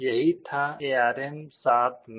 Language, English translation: Hindi, This was what was there in ARM7